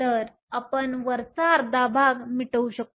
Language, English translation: Marathi, So, We can erase the top half